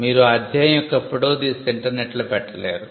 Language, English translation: Telugu, You cannot take a photograph of the chapter and post it on the internet